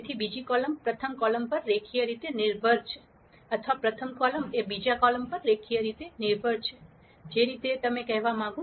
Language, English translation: Gujarati, So, the second column is linearly dependent on the first column or the first column is linearly dependent on the second column, whichever way you want to say it